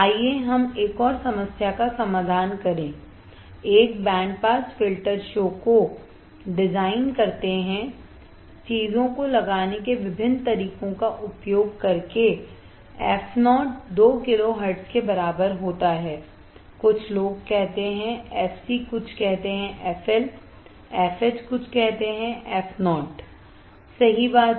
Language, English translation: Hindi, Let us solve one more problem, design a band pass filter show that f o equals to 2 kilo hertz using different way of putting the things, some people say f c some say f L, f H some say f o right does not matter